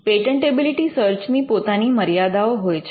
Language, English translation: Gujarati, The patentability search has it is own limitations